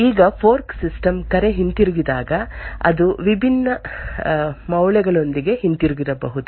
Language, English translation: Kannada, Now when the fork system call returns, it could return with different values